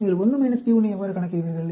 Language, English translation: Tamil, So how do you calculate p1